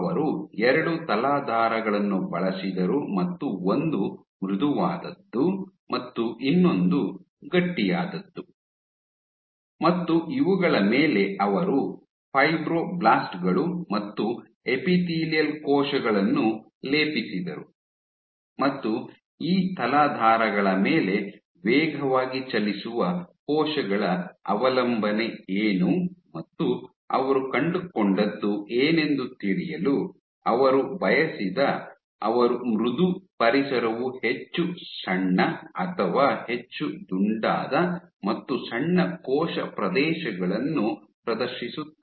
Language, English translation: Kannada, He used 2 substrates one was Soft and one was Stiff, and on these he plated Fibroblasts as well as Epithelial cells and he asked that what is the dependence of cells speeding on these substrates and what he found was the same cells on a soft environment, exhibit much smaller or more rounded, and exhibit smaller cell areas why the same cells on a stiff matrix tend to exhibit much more elongated